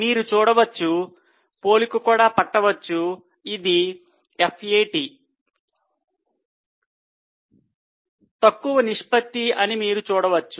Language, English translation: Telugu, So, you can see there is a compared to FAT this is lesser ratio